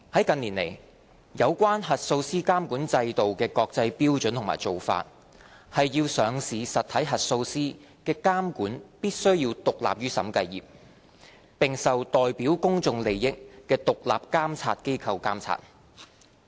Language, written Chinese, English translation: Cantonese, 近年來，有關核數師監管制度的國際標準和做法，是上市實體核數師的監管必須獨立於審計業，並受代表公眾利益的獨立監察機構監察。, International standards and practices concerning the regulatory regime for auditors in recent years are that the regulation of auditors of listed entities should be independent of the audit profession and be subject to oversight by independent oversight bodies acting in the public interest